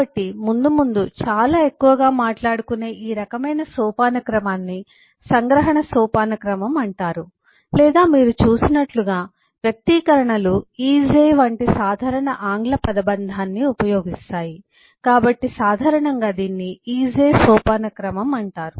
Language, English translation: Telugu, so this kind of a hierarchy, of which we will talk lot more as we go along, is known as an abstraction hierarchy or, as you have seen that expressions use the simple English phrase of is a, so commonly it is called a is a hierarchy